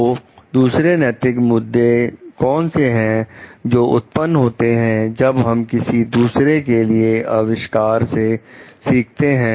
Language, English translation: Hindi, So, what are other ethical issues that may arise in learning from the invention of others